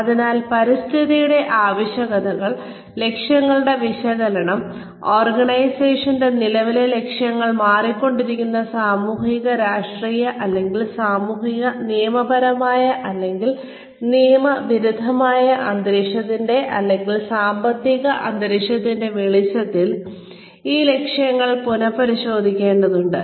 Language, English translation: Malayalam, So, the requirements of the environment, and the analysis of the objectives, of the current objectives of the organization, in light of the changing, sociopolitical, or socio legal, or the illegal environment, or economic environment, these objectives need to be revisited